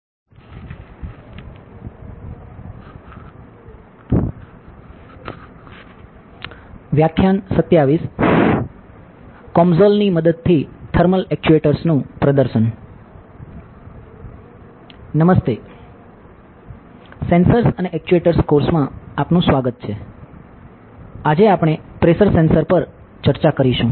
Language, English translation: Gujarati, Hi, welcome to the Sensors and Actuators course, today we will be discussing about a pressure sensor